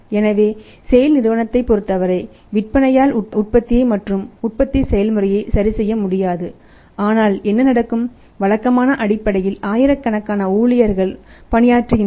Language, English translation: Tamil, So, for SAIL it is not possible to not to produce and adjust the manufacturing process that with the sale can do but what will happen that there are thousands of employees who were working on the regular basis